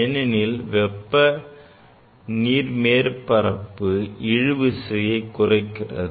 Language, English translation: Tamil, Because the heating reduces the surface tension